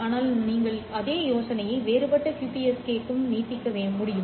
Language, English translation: Tamil, But you can extend the same idea to differential QPSK as well